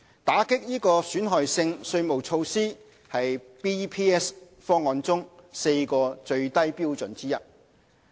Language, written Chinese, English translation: Cantonese, 打擊損害性稅務措施是 BEPS 方案中4個最低標準之一。, Countering harmful tax practices is one of the four minimum standards of the BEPS package